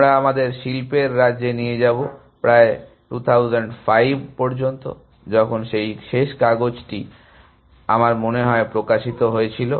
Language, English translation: Bengali, We shall take us to the state of art till about 2005, when that last paper was published I think